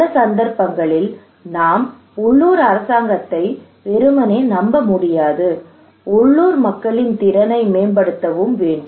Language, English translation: Tamil, Also in many cases we cannot rely simply on the local government we have to enhance the capacity of the local people